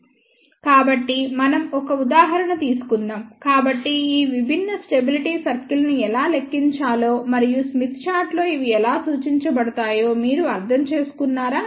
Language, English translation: Telugu, So, let us take an example; so, that you understand how to calculate these different stability circles and how these are represented on the smith chart